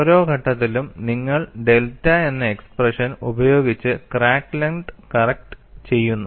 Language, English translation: Malayalam, At every stage you are correcting the crack length with the expression delta